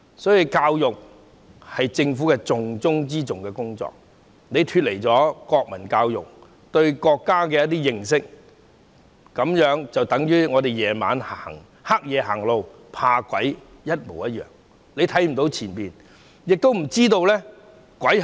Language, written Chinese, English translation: Cantonese, 因此，教育是政府重中之重的工作，脫離了國民教育，缺乏對國家的認識，就等同在黑夜中走路害怕遇上鬼一樣，看不到前路，亦不知道鬼是甚麼。, Therefore education is the most important task of the Government . The lack of national education and understanding of the country can be likened to a man who is afraid of ghosts walking in the dark not being able to see the road ahead and know what exactly ghosts are